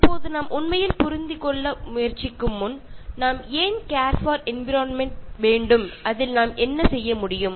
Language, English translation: Tamil, Now before we actually try to understand, why should we really care for the environment and what we can do about it